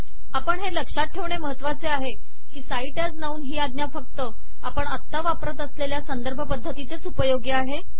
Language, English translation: Marathi, It is important to note that cite as noun is a command that is specific to the referencing style that we used now